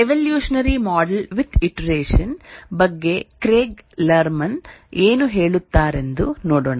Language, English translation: Kannada, Let's see what Craig Lerman has to say about evolutionary model with iteration